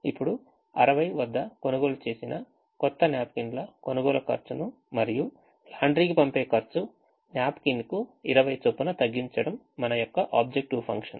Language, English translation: Telugu, now the objective function is to minimize the cost of buying the new napkins, which are bought at sixty, and the cost of sending it to the laundry, the cost being twenty per napkin